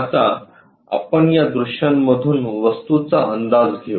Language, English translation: Marathi, Now, let us guess an object from the views